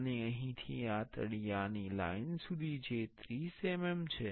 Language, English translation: Gujarati, And from here to this bottom line that is 30 mm